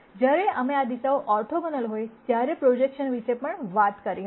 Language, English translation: Gujarati, And we also talked about projections when these directions are orthogonal